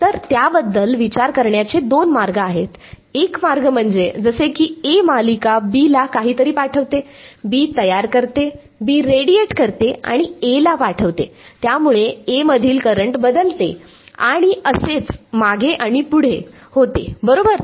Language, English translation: Marathi, So, there are two ways of thinking about it, one way is that a like a I mean like a series A sends something to B, B induces B radiates sends to A, this changes the current in A and so on, back and forth right